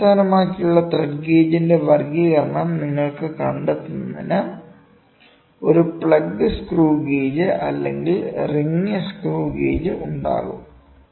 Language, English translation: Malayalam, Then the classification of thread gauge based on form you will have a plug screw gauge or a ring screw gauge to find out